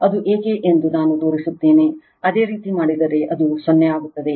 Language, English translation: Kannada, I will show why it is 0, if you do it, it will become 0